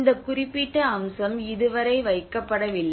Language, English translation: Tamil, So this particular aspect has not been laid so far